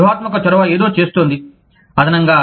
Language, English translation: Telugu, Strategic initiative, is doing something, extra